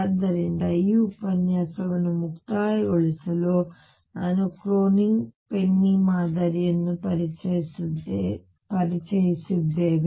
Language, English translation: Kannada, So, to conclude this lecture we have introduced Kronig Penney Model